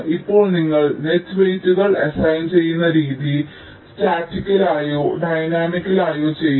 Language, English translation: Malayalam, right now, the way you assign the net weights can be done either statically or dynamically